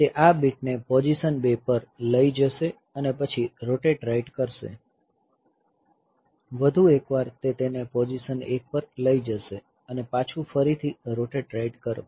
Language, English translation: Gujarati, So, that will take this bit to position 2 then this rotate right, once more it will take it to position 1 and then another rotate right